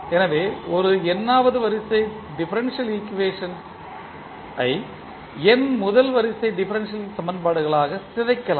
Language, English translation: Tamil, So, an nth order differential equation can be decomposed into n first order differential equations